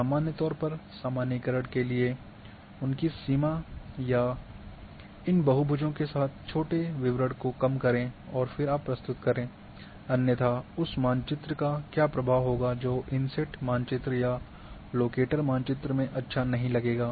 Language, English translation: Hindi, Firstly, for generalization, reduce the small details all along their boundary or these polygons and then you present otherwise what would happen that map will not look good in inset map or locator map